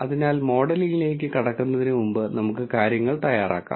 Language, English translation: Malayalam, So, before we jump into modelling, let us get the things ready